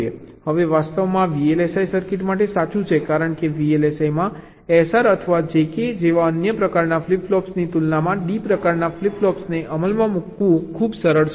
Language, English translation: Gujarati, now, in fact this is true for v l s i circuits because in v l s i it is much easier to implement d type flip flops as compared to means other type of flip flop, that s r or j k